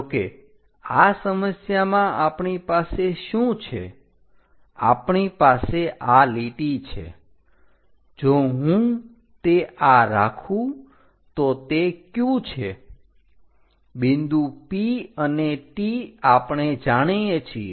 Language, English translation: Gujarati, But in this problem what we have is; we have this line, we have this line if I am keeping this one Q, point P and T we know